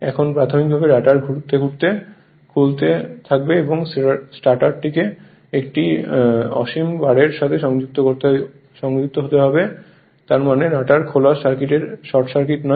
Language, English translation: Bengali, Now assume initially the rotor winding to open circuited and let the stator be connected to an infinite bar; that means, you assume the rotor is open circuited it is it is not short circuited